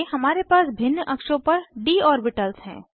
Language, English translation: Hindi, Next, we have d orbitals in different axes